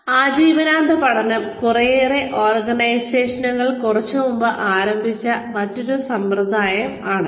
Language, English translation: Malayalam, Lifelong learning is another system, that a lot of organizations have just started, sometime back